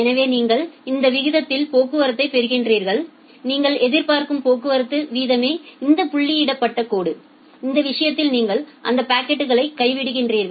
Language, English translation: Tamil, So, you are getting the traffic at this rate and your expected traffic rate is this dotted line, in that case whatever are the peaks you just drop those packets